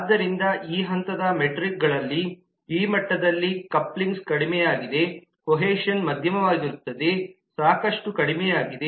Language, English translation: Kannada, so in the metrics at this stage stand at this level the coupling is low, the cohesion is moderate, the sufficiency is very low